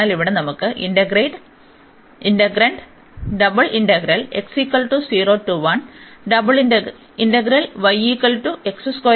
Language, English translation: Malayalam, So, here this integral over this